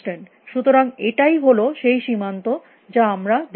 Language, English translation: Bengali, So, that and this is the frontier that we are looking at